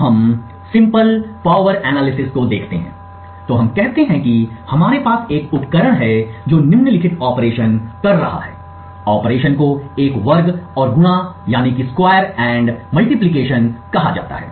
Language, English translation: Hindi, So, let us look at simple power analysis, so let us say we have a device which is performing the following operation, the operation is called a square and multiply